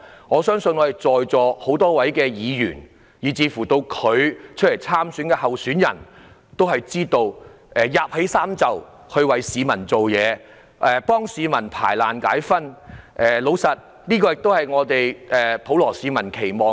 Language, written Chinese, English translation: Cantonese, 我相信在座很多議員及有份參選的候選人都知道，區議員會捲起衣袖為市民服務，替市民排難解紛，而這亦是普羅市民的期望。, I believe many Members present at the meeting and candidates standing for the Election are well aware that DC members would roll up their sleeves to serve the local residents and address their problems which is indeed the expectation of the general public